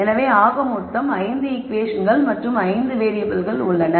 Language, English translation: Tamil, So, that will be a total of 5 equations and 5 variables